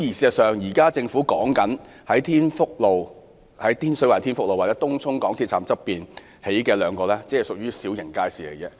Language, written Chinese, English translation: Cantonese, 可是，政府目前擬於天水圍天福路及東涌港鐵站側興建的街市，僅為小型街市。, However the markets being built by Tin Fuk Road in Tin Shui Wai and Tung Chung MTR Station are only small markets